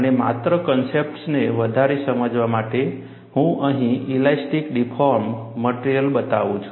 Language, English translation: Gujarati, And just to understand the concepts further, I show the elastically deformed material here